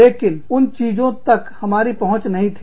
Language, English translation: Hindi, But, we did not have access, to those things